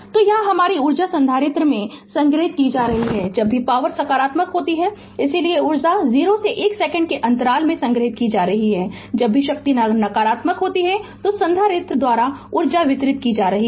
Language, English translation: Hindi, So, here that your energy is being stored in the capacitor whenever the power is positive, hence energy is being stored in the interval 0 to 1 second right and energy is being delivered by the capacitor whenever the power is negative